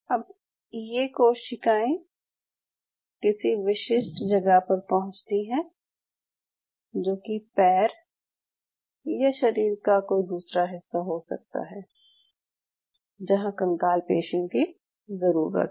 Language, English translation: Hindi, Now these cells reach the specific side, maybe it may be a limb or some other part wherever the skeletal muscles are needed